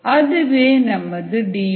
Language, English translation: Tamil, we have a d